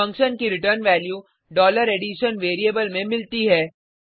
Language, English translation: Hindi, The return value of the function is caught in $addition variable